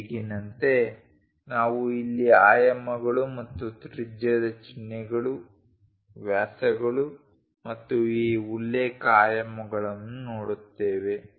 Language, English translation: Kannada, As of now we will look at here dimensions and radius symbols, diameters and these reference dimensions